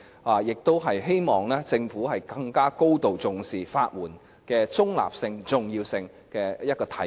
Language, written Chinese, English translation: Cantonese, 我亦希望這是政府更高度重視法援的中立性及重要性的體現。, I also hope that this is manifestation of the Government giving more weight to the neutrality and importance of the legal aid system